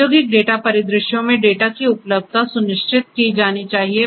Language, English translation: Hindi, Availability of the data has to be ensured in industrial data scenarios